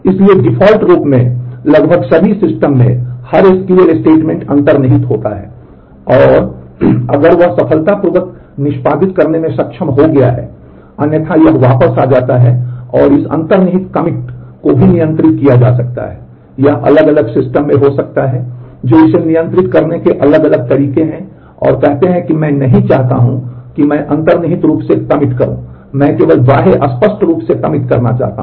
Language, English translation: Hindi, So, in almost all systems by default every SQL statement commits implicitly and, if it has been able to execute successfully, otherwise it rolls back and this implicit commit can be controlled also, it can be in different system there are different ways to control that and say that I do not want implicit commit I would only want commit to be done explicitly